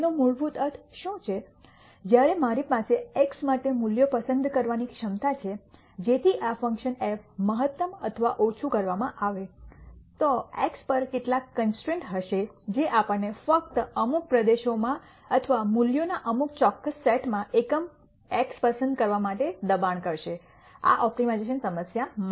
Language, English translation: Gujarati, What basically that means, is while I have the ability to choose values for x, so that this function f is either maximized or minimized, there would be some constraints on x which would force us to choose x in only certain regions or certain sets of values for this optimization problem